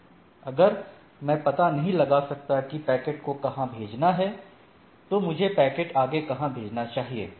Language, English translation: Hindi, If I cannot find something where to be forwarded, then where should I forward